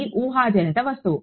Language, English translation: Telugu, It is a hypothetical object